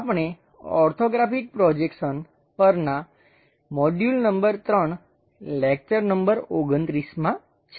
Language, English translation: Gujarati, We are in module number 3 and lecture number 29 on Orthographic Projections